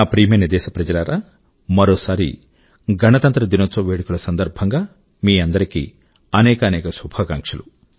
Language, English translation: Telugu, My dear countrymen, once again many many good wishes for the Republic Day celebrations